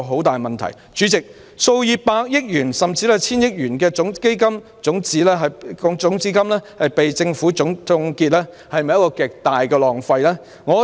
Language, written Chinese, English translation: Cantonese, 代理主席，數以百億元甚至達千億元的基金種子金被政府凍結，是否極大的浪費呢？, Deputy President the seed capital of tens of billions or even hundreds of billions of dollars has been frozen by the Government . What a waste!